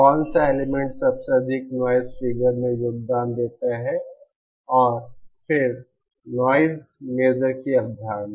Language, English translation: Hindi, Which element contributes most noise figure and then the concept of noise measure